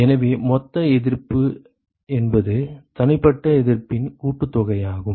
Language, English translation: Tamil, So, the total resistance is the sum of individual resistances